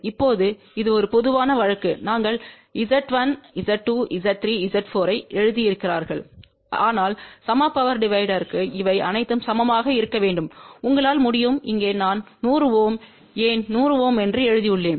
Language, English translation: Tamil, Now, this is a general case we have written Z1 Z 2 Z 3 Z 4, but for equal power divider these should all be equal and you can see here I have written here as a 100 ohm why 100 ohm